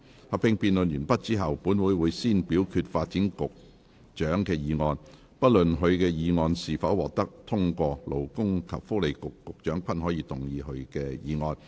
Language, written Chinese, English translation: Cantonese, 合併辯論完畢後，本會會先表決發展局局長的議案，不論他的議案是否獲得通過，勞工及福利局局長均可動議他的議案。, Upon the conclusion of the joint debate this Council will first vote on the Secretary for Developments motion . Irrespective of whether the Secretary for Developments motion is passed or not the Secretary for Labour and Welfare may move his motion